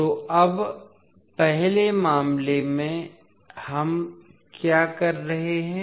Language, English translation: Hindi, So now, in first case what we are doing